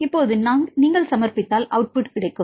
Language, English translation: Tamil, So, now, if you submit we will get output